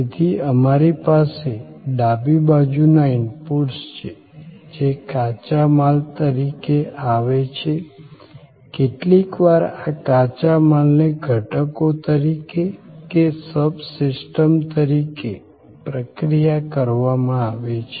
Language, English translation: Gujarati, So, we have on the left hand side inputs, which are coming as raw material, sometimes these raw materials are processed as components, sometimes as sub systems